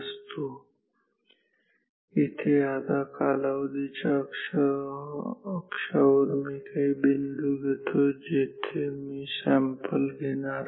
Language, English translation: Marathi, Now, say here on the time axis I mark the points where I take the samples